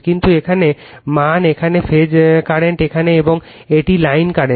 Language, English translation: Bengali, But, here the value here the phase current is here, and this is line current